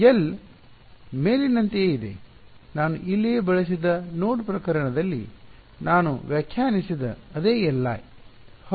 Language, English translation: Kannada, Is the same as above, the same L i which I defined in the node case I used over here right